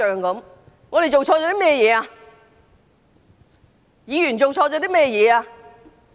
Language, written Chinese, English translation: Cantonese, 究竟我們議員做錯了甚麼？, What had we Members done wrong?